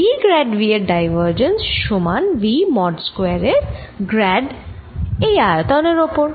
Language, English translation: Bengali, divergence of v grad v is equal to grad of v mode square d over the volume